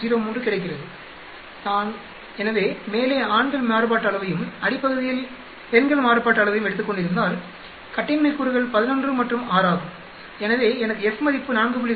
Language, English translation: Tamil, 03, so if I had taken men variance on the top and women variance on the bottom the degrees of freedom is 11 and 6 so I will get an F of 4